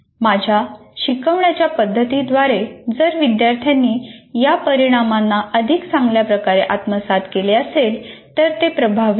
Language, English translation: Marathi, So if I am able to, through my instructional method, if the students have been able to attain these outcomes to a better extent, then this is effective